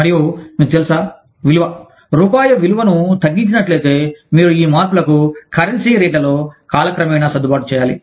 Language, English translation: Telugu, And, you know, if the value, if the rupee is being devalued, then you have to adjust for these changes, in the currency rates, over time